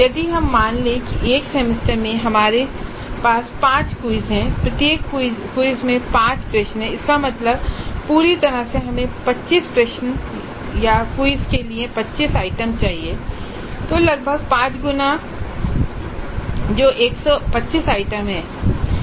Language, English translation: Hindi, So, if you assume that in a semester we are having 5 quizzes, 5 quizzes in the semester and each quiz has 5 questions, that means that totally we need 25 questions or 25 items for quizzes